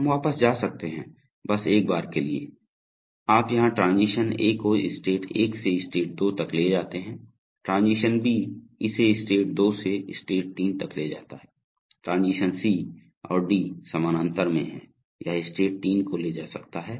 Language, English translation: Hindi, We could go back, just for once, so you see here transition A takes the system from state 1 to state 2, transition B takes it from state 2 to state 3, transition C and D are in parallel, it could take state 3 to either 4 or 5